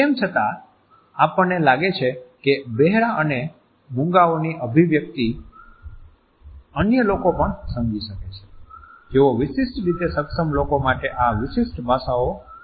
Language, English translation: Gujarati, Even though we find that the expressions of the deaf and dumb can also be understood by other people who do not understand these specific languages for the differently abled people